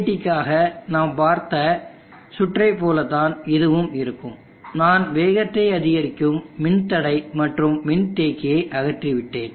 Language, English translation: Tamil, Circuit is similar to what we saw for the BJT only have removed the speed up resistance and capacitors of the speed up circuit is removed